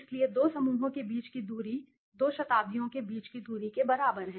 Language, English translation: Hindi, So, the distance between the two clusters equal the distance between the two centuries okay